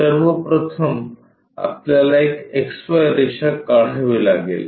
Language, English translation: Marathi, First of all, we have to draw an XY line